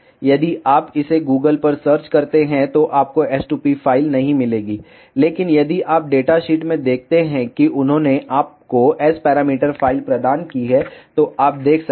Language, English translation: Hindi, If you try to google it, you will not find the s2p file, but if you see in data sheet they have provided you the S parameter file, you can see